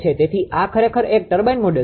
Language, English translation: Gujarati, So, this is actually a turbine model